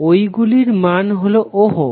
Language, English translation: Bengali, The dimension of those was in ohms